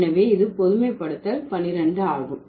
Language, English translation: Tamil, So, that's the 12th generalization